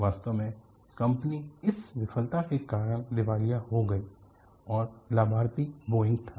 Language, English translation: Hindi, In fact, the company went bankrupt because of this failure, and the beneficiary was Boeing